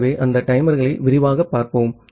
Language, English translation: Tamil, So, let us look into those timers in detail